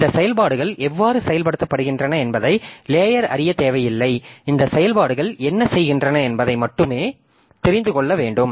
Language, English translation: Tamil, So, a layer does not need to know how these operations are implemented, needs to know only what these operations do